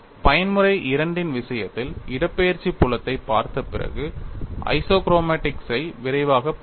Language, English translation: Tamil, Where in the case of mode 2, we will quickly see after looking at the displacement field we will see the isochromatics